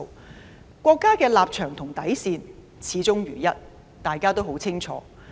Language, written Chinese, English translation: Cantonese, 大家十分清楚國家的立場和底線，始終如一。, We are well aware of the stance and bottom line of the State which remains consistent